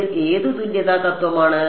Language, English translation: Malayalam, Which equivalence principle is this